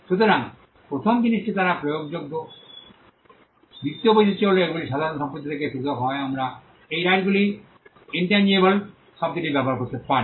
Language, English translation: Bengali, So, the first thing is they are enforceable, the second trait is that they are different from normal property we can use the word intangible these rights are intangible